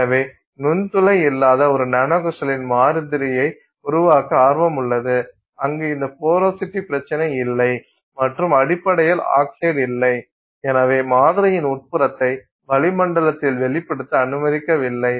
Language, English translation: Tamil, So, there is interest to do to create a nanocrystalline sample that is non porous where you don't have this issue of porosity being present and which essentially doesn't have oxide because you have not allowed the interior of the sample to be exposed to the atmosphere